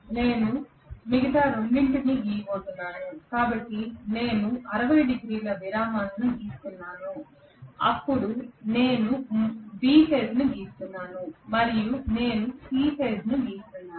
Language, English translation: Telugu, I am going to draw the other two, so I am just drawing the 60 degree intervals then I am drawing B phase and I am drawing C phase